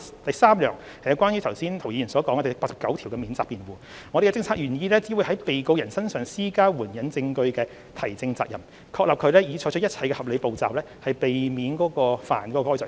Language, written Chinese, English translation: Cantonese, 第三，有關涂謹申議員剛才提到的第89條的免責辯護，我們的政策意向是只會在被告人身上施加援引證據的提證責任，確立被告人已採取一切合理步驟，以避免干犯該罪行。, Thirdly Mr James TO mentioned the defence under clause 89 just now . Our policy inclination is to impose only evidential burden on the defendants to adduce evidence and establish that the persons have taken all responsible steps to avoid committing the offence